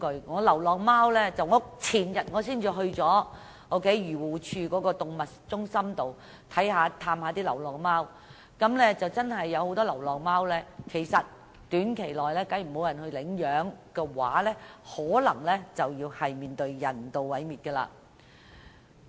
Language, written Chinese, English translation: Cantonese, 我前天才到訪漁護署的動物中心探望那裏的流浪貓，那裏的流浪貓若短期內無人領養，很可能要遭人道毀滅。, I visited stray cats in an AFCD animal centre the day before yesterday . If no one adopts the cats there within a short period of time they will be euthanized